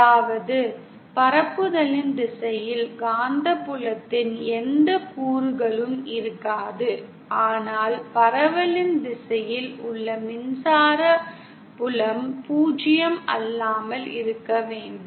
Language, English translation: Tamil, That is, there will be no component of magnetic field along the direction of propagation but the electric field along the direction of propagation will have to be nonzero